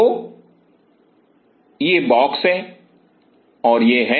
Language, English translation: Hindi, So, this is the box and this is the